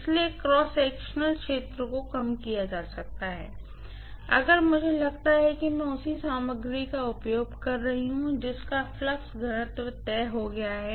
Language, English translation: Hindi, So, cross sectional area can be decreased if I assume that I am using the same material whose flux density is fixed